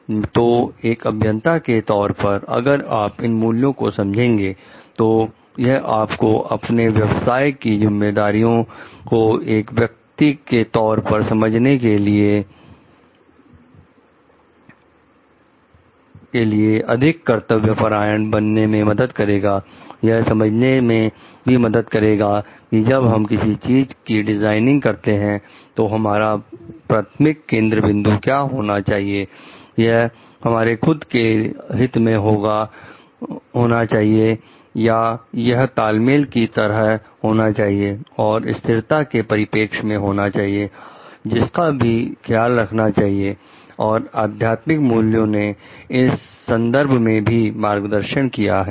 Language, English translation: Hindi, So, as an engineer, if we understand this values, it helps us for becoming more dutiful in our profession understanding our responsibility as a person, understanding like what should be the primary focus when we are designing for certain things it is our own self interest or is it the like the synergy and the sustainability perspective which needs to be taken care of and the spiritual values has gives guidance in this regard also